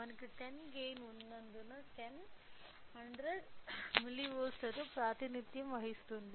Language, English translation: Telugu, Since we have a gain of 10, 1 degree will be represented with 100 milli volts